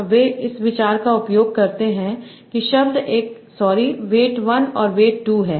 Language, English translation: Hindi, And they use the idea that word 1, sorry, weights 1 and weights 2